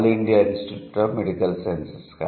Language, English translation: Telugu, All India Institute of Medical Sciences